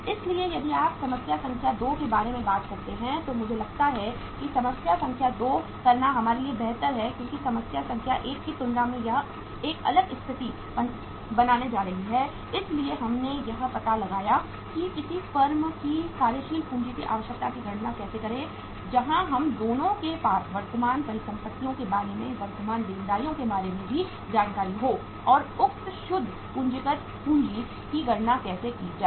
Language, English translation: Hindi, So uh if you if you talk about the problem number 2, I think it is better for us to do the problem number 2 because it is going to create a different situation as compared to the problem number 1 we did so uh we can find out that how to calculate the working capital requirement of a company where we have both the informations about the current assets also, current liabilities also and how to calculate the say net working capital